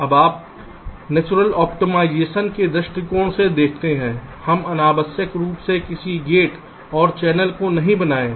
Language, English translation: Hindi, now, you see, from natural optimization point of view, why should we unnecessarily make a gate larger, the channel larger